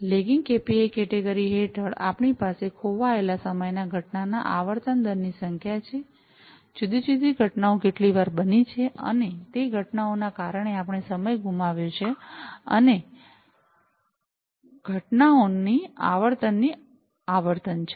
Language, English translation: Gujarati, Under the lagging KPIs category, we have number of lost time incident frequency rate, how many times the different incidents have occurred, and we have lost time due to those incidents, and the frequency of occurrence of those incidents